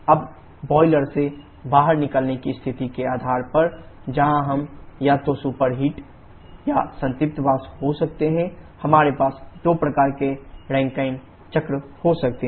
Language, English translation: Hindi, Now depending upon the exit state from the boiler where we can have either superheated or saturated vapour, we can have two kinds of Rankine cycle